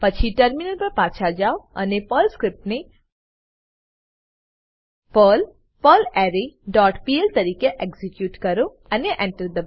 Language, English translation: Gujarati, Then switch to terminal and execute the Perl script as perl perlArray dot pl and press Enter